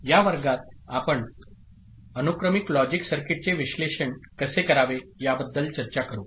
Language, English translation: Marathi, In this class we shall discuss how to analyze a sequential logic circuit